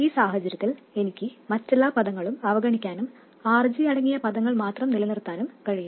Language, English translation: Malayalam, In this case I can neglect all the other terms and retain only the terms containing RG